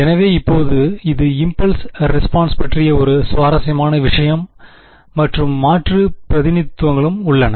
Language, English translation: Tamil, So, now turns out this is an interesting thing about impulse responses and there are Alternate Representations also possible ok